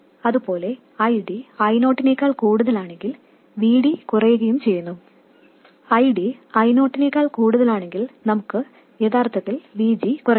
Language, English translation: Malayalam, Similarly, if ID is greater than I 0, VD goes on decreasing, and if ID is greater than I 0 we actually want to reduce VG